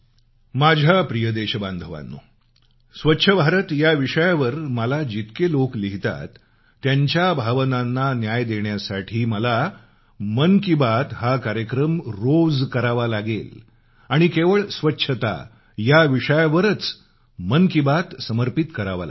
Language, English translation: Marathi, My dear countrymen, a multitude of people write to me about 'Swachch Bharat', I feel that if I have to do justice to their feelings then I will have to do the program 'Mann Ki Baat' every day and every day 'Mann Ki Baat' will be dedicated solely to the subject of cleanliness